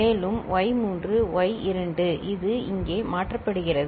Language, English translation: Tamil, And y3 y2 this will be coming getting shifted over here